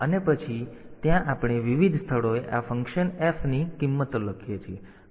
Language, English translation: Gujarati, And then there we write down the values of this function f at various locations